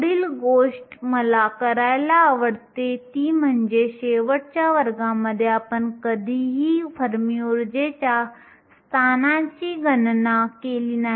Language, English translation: Marathi, The next thing I like to do is, in last class we never calculated the position of the fermi energy